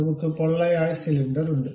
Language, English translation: Malayalam, So, we have that hollow cylinder